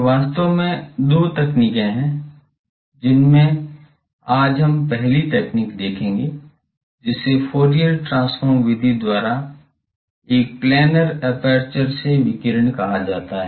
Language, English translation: Hindi, So, there are actually two techniques out of that today we will see the first technique; that is called the radiation from a planar aperture by Fourier transform method